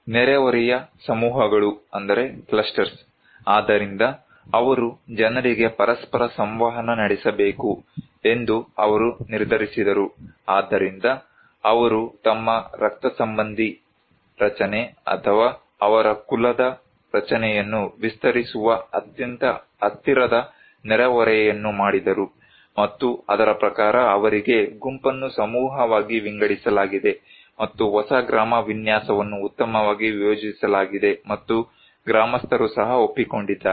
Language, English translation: Kannada, Neighborhood clusters; so they decided that they need to the people should interact with each other, so they made a very close neighborhood that is extending their kinship structure or their clan structure and accordingly, they were given divided the group into a cluster, and new village layout was well planned and also accepted by the villagers